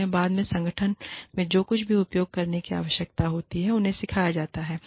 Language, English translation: Hindi, They are taught, whatever they need to use, in the organization, later